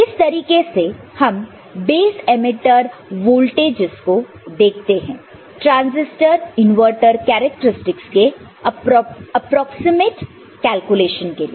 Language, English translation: Hindi, So, this is how we look at this base emitter voltages for an approximate calculation of this transistor inverter characteristics, ok